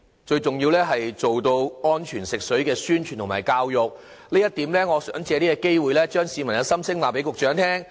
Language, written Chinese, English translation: Cantonese, 最重要的是要加強安全食水的宣傳和教育，就這一點，我想借這個機會把市民的心聲告知局長。, The publicity and public education work are crucially important among the various measures . In this respect I would like to take this opportunity to relay the voices of Hong Kong people to the Secretary